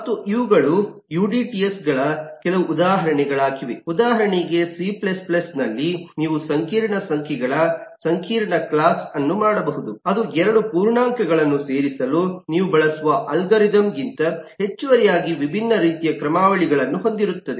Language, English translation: Kannada, these are called udts and these are some examples of udts: eh, for example, in c plus plus, you can make a complex eh class, eh of complex numbers, which will certainly have different kind of a algorithms for addition than the algorithm you use for adding 2 integers